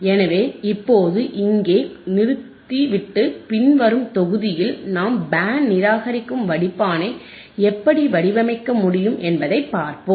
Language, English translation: Tamil, So, we will we will stop here right now and let us let us see in the in the following module right how we can design a Band Reject Filter